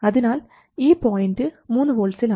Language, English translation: Malayalam, So this is 3 volts and that is 3 volts